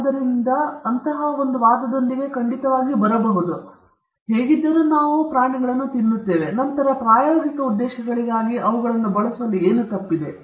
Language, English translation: Kannada, So, one can definitely come up with such an argument; we are anyway eating them, then what is wrong in using them for experimental purposes